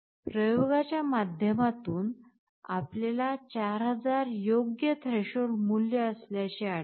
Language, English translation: Marathi, Now, through experimentation, we found 4000 to be a suitable threshold value